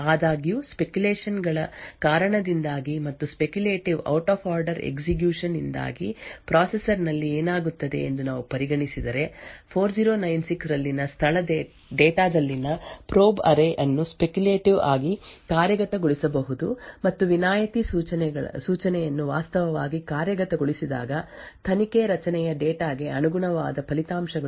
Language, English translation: Kannada, However, due to speculation and if we consider what happens within the processor due to speculative out of order execution, the probe array at the location data into 4096 maybe speculatively executed and when the exception instruction is actually executed the results corresponding to probe array data into 4096 would be actually discarded